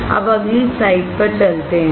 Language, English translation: Hindi, Now let us go to the next slide